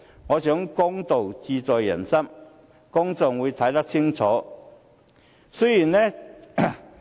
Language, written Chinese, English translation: Cantonese, 我想公道自在人心，公眾會看得清楚。, I think justice is always in peoples heart and people can see clearly who is right and wrong